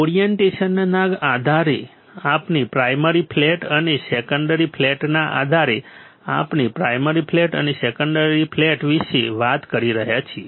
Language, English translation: Gujarati, Based on the orientation or based on the primary flat and secondary flat, we are talking about primary flat and secondary flat